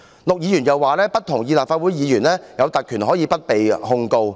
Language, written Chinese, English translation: Cantonese, 陸議員又指不認同立法會議員享有不被控告的特權。, Mr LUK also disagrees that Members of the Legislative Council have the privilege of immunity from prosecution